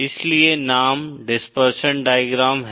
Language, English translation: Hindi, Hence the name, dispersion diagram